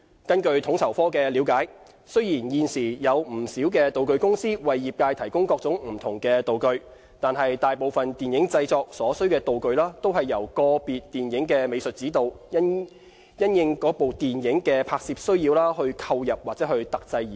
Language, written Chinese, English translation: Cantonese, 根據統籌科的了解，雖然現時有不少道具公司為業界提供各種不同的道具，但大部分電影製作所需的道具均是由個別電影的美術指導，因應該電影的拍攝需要而購入或特製而成。, As per FSOs understanding while there are a number of prop companies providing different props for the industry most of the props used for film productions are specifically procured or produced by art directors of individual films to suit the specific filming needs of that particular film concerned